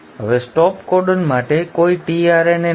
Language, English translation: Gujarati, Now there is no tRNA for the stop codon